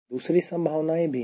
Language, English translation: Hindi, there are other possibilities